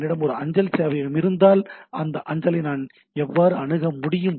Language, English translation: Tamil, So, that is another thing, that if I have a mail server so, how I can access that mail